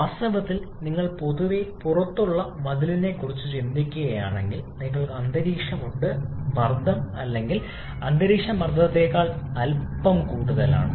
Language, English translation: Malayalam, In fact, if you just think about the wall generally outside you have atmospheric pressure or slightly higher than atmospheric pressure